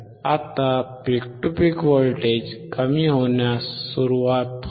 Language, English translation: Marathi, Now the peak to peak voltage start in decreasing